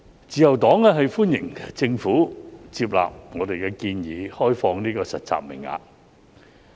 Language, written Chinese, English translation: Cantonese, 自由黨歡迎政府接納我們的建議，開放實習名額。, The Liberal Party welcomes the Governments acceptance of our proposal to open up internship places